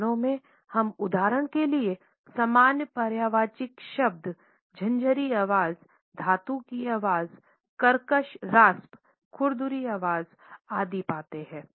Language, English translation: Hindi, In languages we find similar synonyms for example, grating voice metallic voice raucous rasp rough shrill etcetera